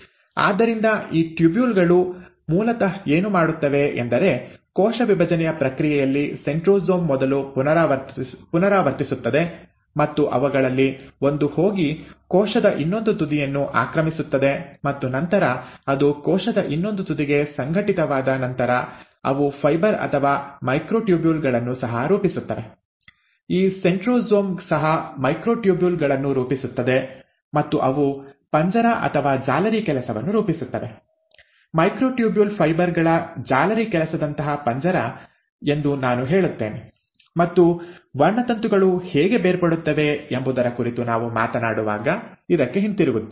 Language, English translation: Kannada, So what these tubules do is that they basically, during the process of cell division, the centrosome first replicates, and one of them goes and occupies the other end of the cell, and then, once it has organized to the other end of the cell, they also form fibres, or microtubules, this centrosome also forms microtubules and they form a cage or a mesh work, I would say a cage like mesh work of micro tubule fibres, and we will come back to this when we are talking about how the chromosomes get separated